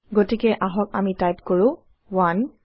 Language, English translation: Assamese, So we will type 1